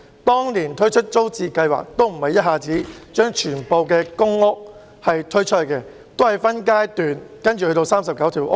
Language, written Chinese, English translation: Cantonese, 當年推出租置計劃時，並不是一下子把所有公屋推出，也是分階段，最終涵蓋39個屋邨。, When TPS was first introduced not all PRH estates were put up for sale in one go; they were introduced in phases and eventually 39 PRH estates were covered under TPS